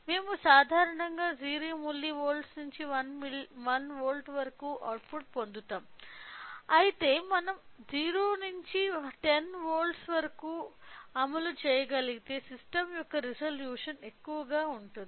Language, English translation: Telugu, So, we are getting an output from generally we get an output of 0 milli volt to 1 volt, but whereas, if we can implement from 0 to 10 volts then the resolution of the system will be higher